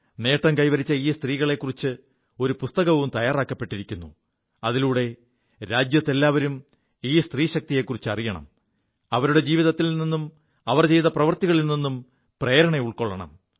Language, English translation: Malayalam, A book has beencompiled on these women achievers, first ladies, so that, the entire country comes to know about the power of these women and derive inspiration from their life work